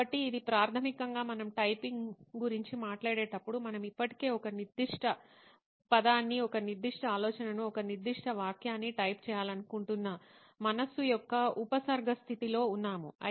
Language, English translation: Telugu, So this basically is when we talk of typing, we are already in a prefix state of mind what we want to type a particular word, a particular thought, a particular sentence